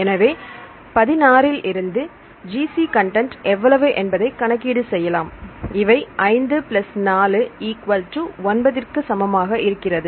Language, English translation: Tamil, So, G C content you can calculate out of 16 how many G and C this equal to 5 plus 4 9